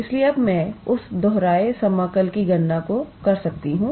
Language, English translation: Hindi, So, now I can do that repeated integral calculation here